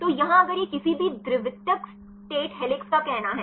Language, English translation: Hindi, So, here if it say any secondary state helix